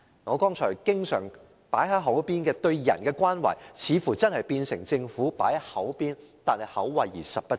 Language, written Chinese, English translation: Cantonese, 我剛才經常多番提及對人的關懷似乎是口惠而實不至。, It looks like the Government merely pays lip service to offering care for the people as I mentioned repeatedly just now